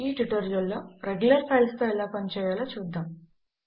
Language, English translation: Telugu, In this tutorial we will see how to handle regular files